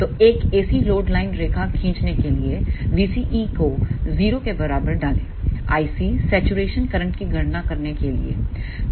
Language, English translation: Hindi, So, to draw a AC load line just put v CE equals to 0 to calculate the i C saturation current